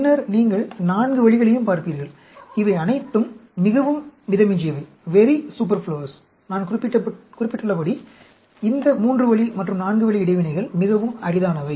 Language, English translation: Tamil, And then, you will also look at four way; all these are very superfluous, because I did mention that, these three ways and four way interactions are very, very rare